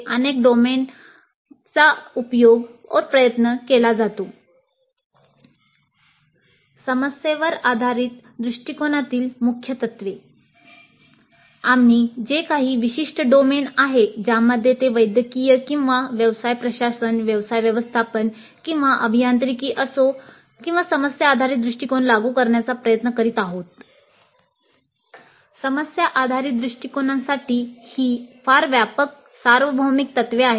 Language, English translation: Marathi, Whatever be the specific domain in which we are trying to implement the problem based approach, whether it is medical or business administration, business management or engineering, these are very broad universal key principles for problem based approach